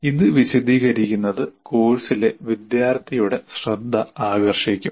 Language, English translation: Malayalam, We'll get the attention of the student in the course